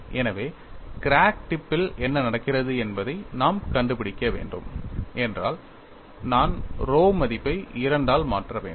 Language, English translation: Tamil, So, if I have to find out what happens at the crack tip, I have to substitute the value of rho by 2